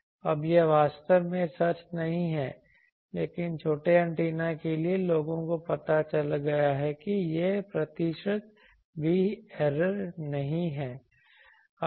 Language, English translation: Hindi, Now, that is not actually true but for small antennas it is you may people have found out that it is not even one percent error